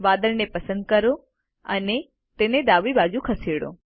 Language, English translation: Gujarati, Let us select the cloud and move it to the left